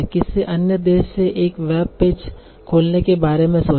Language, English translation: Hindi, So think about opening a web page from some other country